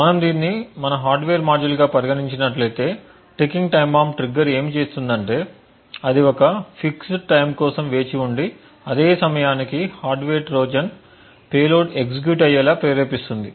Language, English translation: Telugu, Essentially if we consider this as our hardware module what a ticking time bomb trigger does is that it waits for a fix time and then triggers the hardware Trojans payload to execute this time is typically specified by the attacker